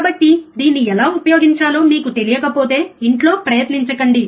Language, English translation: Telugu, So, if you do not know how to use it, do not try it at home